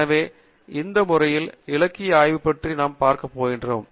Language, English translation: Tamil, So, we are going to look at the literature survey in this manner